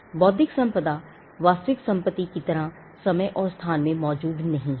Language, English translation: Hindi, Intellectual property does not exist in time and space like real property